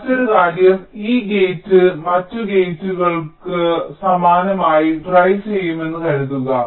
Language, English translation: Malayalam, and just another thing: you just see that suppose this gate is driving similar to other gates